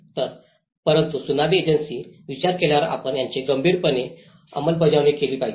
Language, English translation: Marathi, So, but after the Tsunami agencies have thought that we should seriously implement this